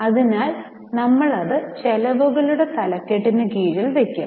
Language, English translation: Malayalam, So, we will put it under the head of expenses